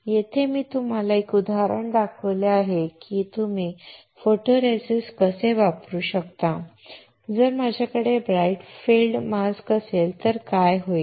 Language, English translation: Marathi, Here, I have shown you an example how you can use a photoresist and if I have a bright field mask what will happen